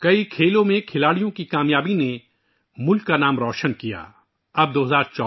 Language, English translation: Urdu, The achievements of players in many other sports added to the glory of the country